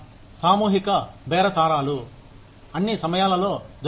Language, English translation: Telugu, Collective bargaining, happens all the time